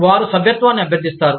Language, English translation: Telugu, They solicit membership